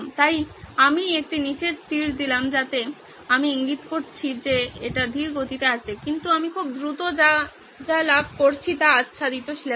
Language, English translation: Bengali, So I put a down arrow so that I indicates it’s slow whereas what I am gaining out of going very fast is covered syllabus